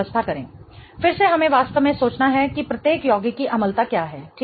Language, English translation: Hindi, Again what we have to really think about is what is the acidity of each compound right